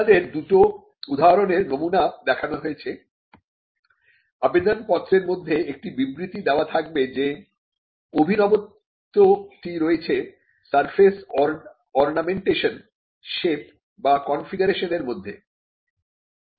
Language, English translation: Bengali, Now, you have two examples of how a specimen looks like, there has to be a statement in the application that the novelty resides in surface ornamentation or in the shape or in the configuration